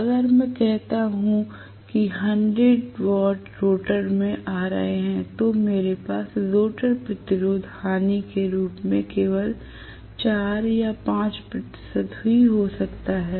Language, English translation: Hindi, If, I say 100 watts are coming into the rotor I may have only 4 or 5 percent being dissipated generally as the rotor resistance loss